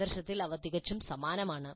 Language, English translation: Malayalam, In spirit, they're quite similar